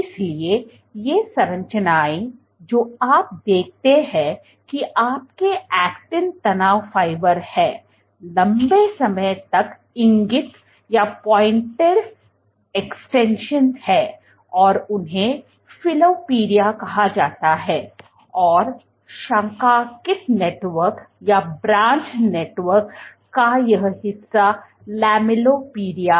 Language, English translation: Hindi, So, these structures your actin stress fibers this long pointed extensions that you see are called filopodia and this branched network this portion of the network is lamellipodia